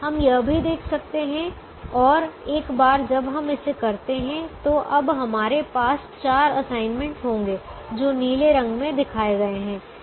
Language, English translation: Hindi, we can also see this, and once we put this now we will have four assignments that are shown in in blue color